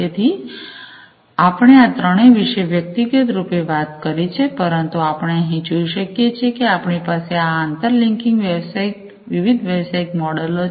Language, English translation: Gujarati, So, so all these three we have individually talked about, but as we can see over here we have these inter linking these different business models